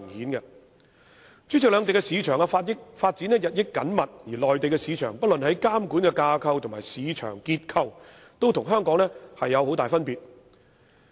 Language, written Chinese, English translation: Cantonese, 代理主席，兩地市場發展日益緊密，而內地市場不論在監管機構及市場結構上，也與香港有很大分別。, Deputy President the markets of both places are getting increasingly close in ties and the regulators and structure of the Mainland market differ greatly from those of the Hong Kong market